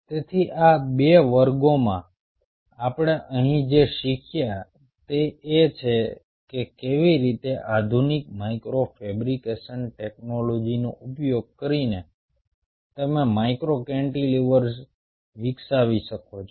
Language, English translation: Gujarati, so what we have learned here in these two classes is how, using the modern micro fabrication technology, you can develop cantilever, cantilevers, micro cantilevers